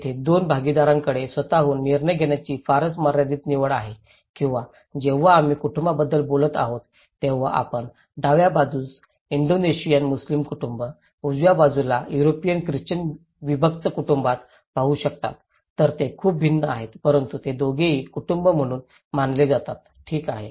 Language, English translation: Marathi, Here, the two partners have very limited choice to make decisions by their own or when we are talking about family, you can look in the left hand side an Indonesian Muslim family, in the right hand side, a Christian nuclear family in Europe so, they are very different but they are both considered as family, okay